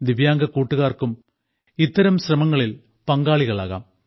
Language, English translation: Malayalam, Divyang friends must also join such endeavours